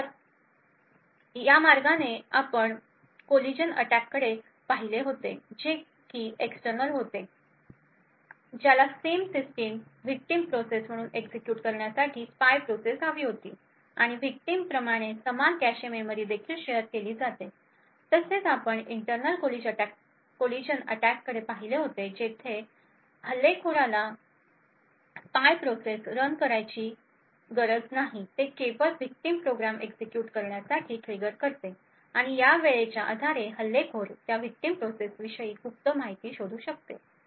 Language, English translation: Marathi, We had looked at the collision attacks which are external which requires a spy process to execute in the same system as the victim process and also share the same cache memory as the victim, we also looked at internal collision attacks where an attacker need not run a spy process it only trigger the victim program to execute and measure the amount of time it took for that particular victim to execute and based on this time the attacker would be able to infer secret information about that victim process, thank you